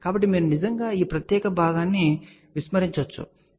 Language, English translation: Telugu, So, you can actually neglect this particular part, ok